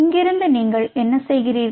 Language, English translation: Tamil, from here, what you do